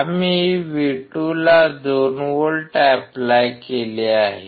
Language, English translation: Marathi, We have applied 2 volts at V2